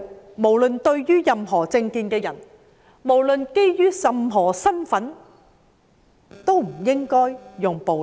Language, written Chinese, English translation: Cantonese, 我們認為對於持任何政見、身份的人，都不應該使用暴力。, In our opinion violence should not be used on anyone no matter what his political view or social status is